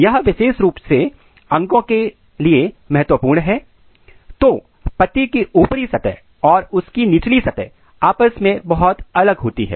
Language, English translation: Hindi, This is particularly important for the organs, so if you look this leaf the upper surface of the leaf and lower surface of the leaves they are very different